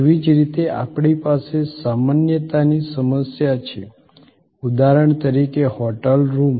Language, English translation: Gujarati, Similarly, we have the problem of generality, which means for example, a hotel room is a hotel room